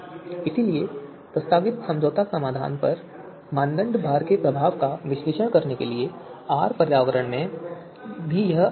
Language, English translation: Hindi, So therefore it is easier even in R environment as well to analyse the impact of criteria weights on the proposed compromise solution